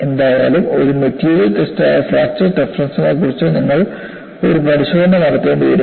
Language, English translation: Malayalam, Anyway, you will have to do a test on fracture toughness that is a material test